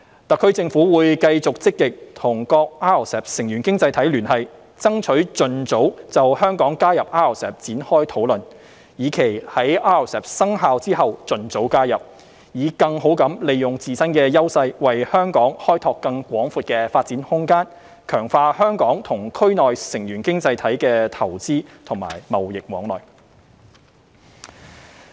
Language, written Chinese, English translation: Cantonese, 特區政府會繼續積極與各 RCEP 成員經濟體聯繫，爭取盡早就香港加入 RCEP 展開討論，以期在 RCEP 生效後盡早加入，以更好地利用自身的優勢為香港開拓更廣闊的發展空間，強化香港與區內成員經濟體的投資和貿易往來。, The SAR Government will continue to actively liaise with RCEP participating economies to expeditiously commence discussions on Hong Kongs accession with a view to enabling Hong Kong to join RCEP as early as possible after its entry into force . By making better use of our own strengths we may expand Hong Kongs scope for further development and strengthen the trade and investment ties between Hong Kong and RCEP participating economies in the region